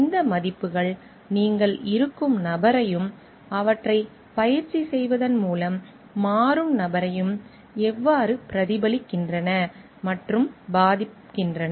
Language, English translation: Tamil, How do these values reflect and affect person you are and the person you become by practicing them